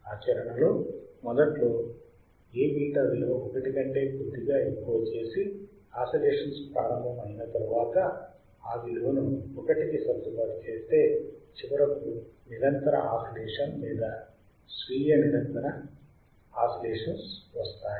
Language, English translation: Telugu, In practice, A beta is made slightly greater than one to start the oscillation and then it adjusted itself to equal to 1, finally resulting in a sustained oscillation or self sustained oscillation right